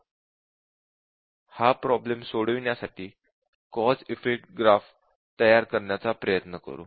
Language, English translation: Marathi, So let us try to develop the cause effect graph for this problem